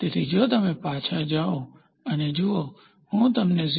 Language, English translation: Gujarati, So, if you go back and see if I give you a tolerance of 0